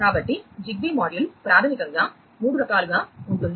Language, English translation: Telugu, So, a ZigBee module basically can be of 3 types